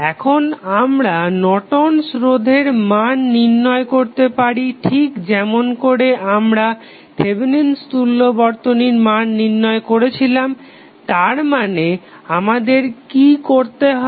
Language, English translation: Bengali, Now, we can also find out the value of Norton's resistance the same way as we found the value of Thevenin equivalent circuit that means what we have to do